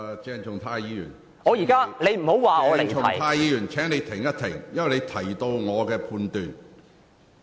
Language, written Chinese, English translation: Cantonese, 鄭松泰議員，請稍停，因為你在發言中提及我的判斷。, Dr CHENG Chung - tai please hold on because you have mentioned my judgment in your speech